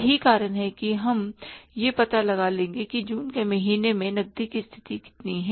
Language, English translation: Hindi, That is why we will be finding out that how much is the what is the cash position in the month of June